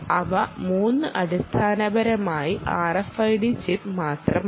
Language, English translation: Malayalam, those three essentially are is nothing but that r f i d chip